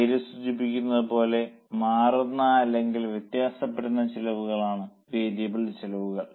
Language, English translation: Malayalam, As the name suggests, variable costs are those costs which change or vary